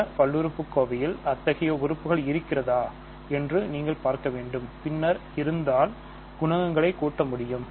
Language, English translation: Tamil, In the other polynomial, you will see if there is such a term and then, you compare you add the coefficients